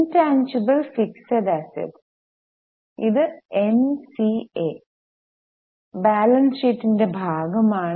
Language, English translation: Malayalam, Intangible fixed assets, it's a part of balance sheet, it is NCA